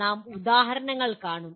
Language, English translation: Malayalam, We will see examples